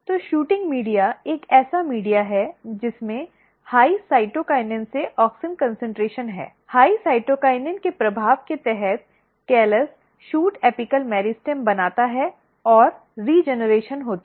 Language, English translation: Hindi, So, shooting media is a media which has high cytokinin to auxin concentration, under the influence of high cytokinin the callus forms shoot apical meristem and regeneration takes place